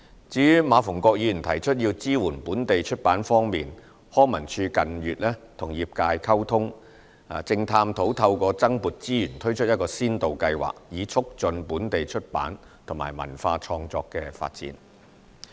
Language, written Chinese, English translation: Cantonese, 至於馬逢國議員提出要支援本地出版業，康文署近月與業界溝通，正探討透過增撥資源，推出一個先導計劃，以促進本地出版及文化創作發展。, With regard to Mr MA Fung - kwoks proposal to support the local publishing industry LCSD has communicated with the industry in recent months . We are exploring the feasibility to introduce a pilot scheme by deploying additional resources with a view to promoting the development of the local publishing and cultural creative industries